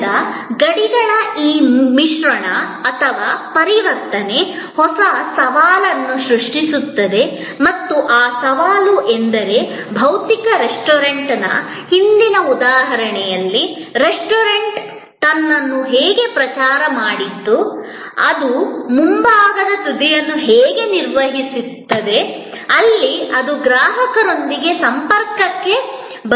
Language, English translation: Kannada, So, this mix or transience of the boundaries, create new challenge and that challenge is that in the earlier example of a physical restaurant, how the restaurant publicized itself, how it manage the front end, where it comes in contact with the customer